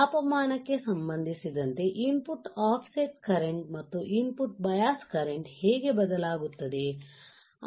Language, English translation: Kannada, With respect to the temperature how your input offset current and input bias current would change